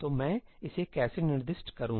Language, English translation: Hindi, So, how do I specify that